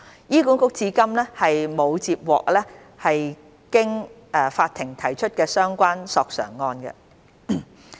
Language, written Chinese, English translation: Cantonese, 醫管局至今並沒有接獲經法庭提出的相關索償個案。, So far HA has not received any claim for compensation pursued through the courts